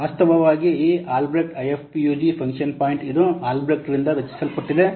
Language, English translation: Kannada, Actually this Albrecht IF PUG function point it was coined by Albrecht